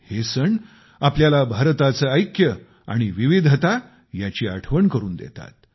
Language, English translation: Marathi, These festivals remind us of India's unity as well as its diversity